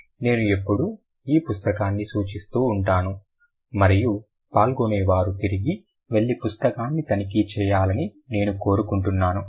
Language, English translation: Telugu, I have always been referring to this book and I want the participants to go back and check the book